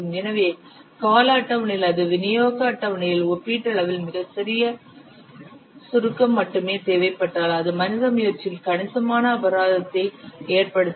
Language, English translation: Tamil, You can see that a relatively small compression in delivery schedule can result in substantial penalty on the human effort